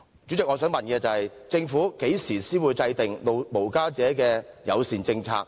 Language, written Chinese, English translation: Cantonese, 主席，我的問題是：政府何時才會制訂無家者友善政策？, President my questions are When will the Government formulate a homeless - friendly policy?